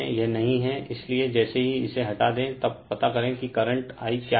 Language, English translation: Hindi, So, as soon as you remove it then you find out what is the current I right